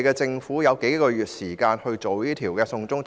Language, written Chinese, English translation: Cantonese, 政府有數個月時間處理"送中"法案。, The Government only used a few months to handle the China extradition bill